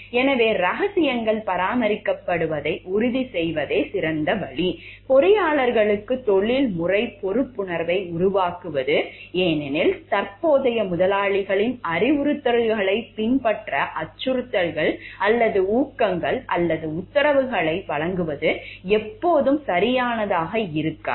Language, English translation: Tamil, So, the best way to generate is to ensure like the secrets will be maintained, is to generate a sense of professional responsibility in the engineers, because giving threats or incentives or directives to follow the instructions of the current employers may not always in the proper result